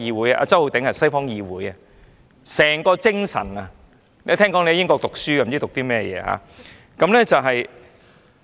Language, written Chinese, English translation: Cantonese, 周浩鼎議員，這是西方議會的精神，聽聞你在英國讀書，不知你讀了甚麼。, This is the congress in the West Mr Holden CHOW this is the spirit of western congress . I heard that you studied in the United Kingdom . What have you studied?